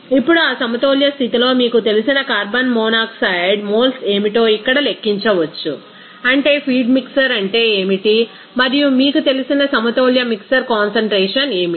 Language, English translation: Telugu, Now, at that equilibrium condition what should be the you know carbon monoxide moles that can be calculated here that is what is the feed mixer and what to be the you know equilibrium mixer concentration